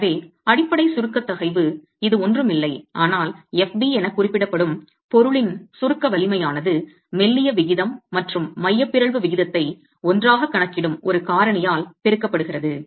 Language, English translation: Tamil, The basic compressive stress which is nothing but the compressive strength of the material denoted as FB is then multiplied by a factor that accounts for the slenderness ratio and the eccentricity ratio together